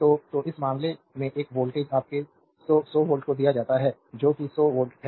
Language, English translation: Hindi, So, so, in this case a voltage is given your 100, 100 volt that is 100 volt